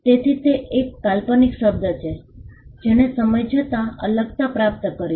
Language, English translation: Gujarati, So, that is a fanciful term which has acquired distinctness over a period of time